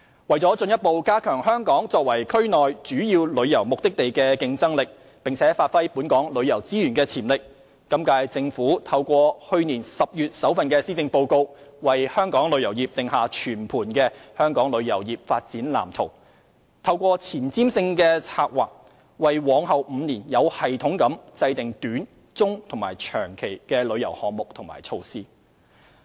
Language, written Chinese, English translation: Cantonese, 為進一步加強香港作為區內主要旅遊目的地的競爭力，並發揮本港旅遊資源的潛力，今屆政府透過去年10月的首份施政報告，為香港旅遊業定下全盤的《香港旅遊業發展藍圖》，透過前瞻性的策劃，為往後5年有系統地制訂短、中和長期的旅遊項目及措施。, To further enhance Hong Kongs competitiveness as the major tourist destination in the region and to unleash the full potential of Hong Kongs tourism resources the current - term Government draws up the Development Blueprint for Tourism Industry in the first Policy Address delivered last October . Visionary planning is adopted in formulating tourism initiatives and measures of short medium and long terms in the next five years